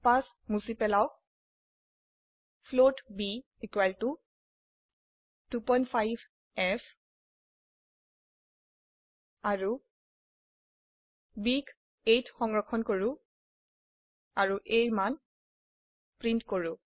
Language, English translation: Assamese, Remove the 5 float b equal to 2.5f and let us store b in a and print the value of a